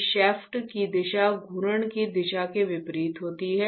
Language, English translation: Hindi, The direction of this shaft is opposite to the direction of rotation